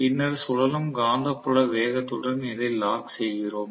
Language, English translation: Tamil, So, now this creates the revolving magnetic field